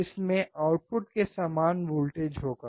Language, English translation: Hindi, It will have the same voltage as the output